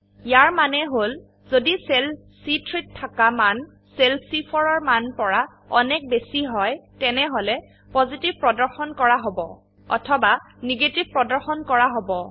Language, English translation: Assamese, This means if the value in cell C3 is greater than the value in cell C4, Positive will be displayed or else Negative will be displayed.